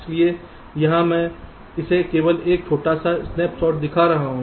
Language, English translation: Hindi, so here i am showing it only a small snap shot